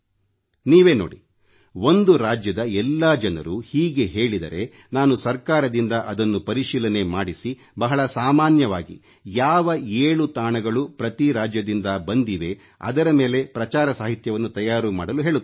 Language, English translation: Kannada, You see, if all the people of one state will do this, then I will ask the government to do a scrutiny of it and prepare publicity material based on seven common things received from each state